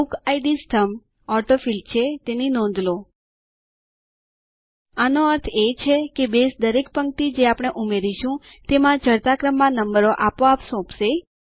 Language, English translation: Gujarati, Notice the Bookid column has AutoField, This means Base will assign ascending numbers automatically to each row of data that we insert